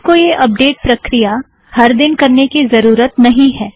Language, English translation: Hindi, You dont have to do this update every day